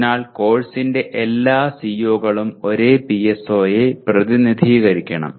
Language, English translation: Malayalam, So all the COs of the course will address the same PSO